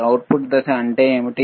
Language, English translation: Telugu, What is the output phase